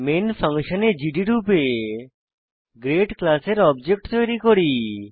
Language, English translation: Bengali, Inside the main function we create an object of class grade as gd